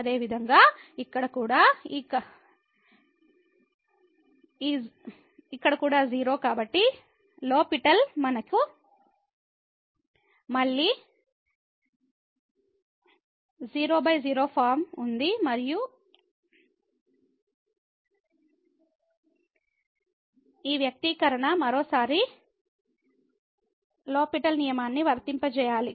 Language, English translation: Telugu, Similarly, here also 0 so, we have again 0 by 0 form and we need to apply the L’Hospital rule to this expression once again